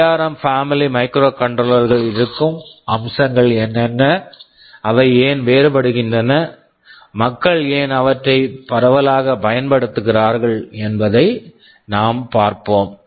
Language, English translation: Tamil, We shall specifically see what are the features that are inside the ARM family of microcontrollers and why they are different, , why people are using them so widely